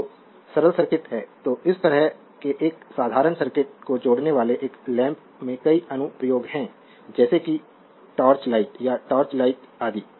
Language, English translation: Hindi, So, this is the simple circuit so, a lamp connecting such a simple circuit has several applications such as your torch light or search light etc